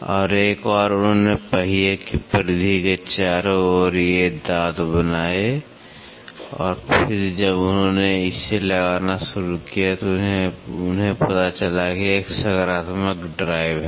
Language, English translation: Hindi, And, once they made all around the periphery of the wheel these teeth and then when they started meshing it they found out there is a positive drive